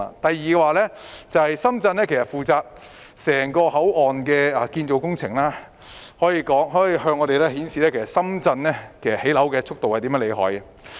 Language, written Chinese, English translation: Cantonese, 第二，深圳負責整個口岸的建造工程，向我們展示出深圳的建造樓宇速度多麼厲害。, Secondly Shenzhen will be responsible for the construction work of the entire control point . It shows that how fast they can build